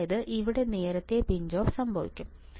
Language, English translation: Malayalam, So, what will happen early pinch off